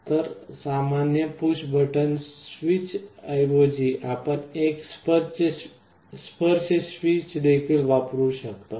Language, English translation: Marathi, So, instead of a normal push button switch, you can also use a touch kind of a switch